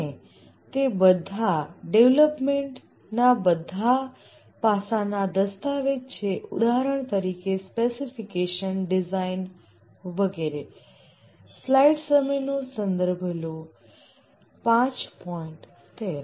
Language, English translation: Gujarati, And these are the documentation of all aspects of development, for example, specification, design, etc